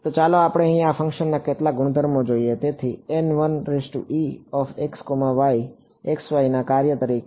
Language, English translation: Gujarati, So, now let us let us look at some of the properties of this function over here; so, N 1 e as a function of x y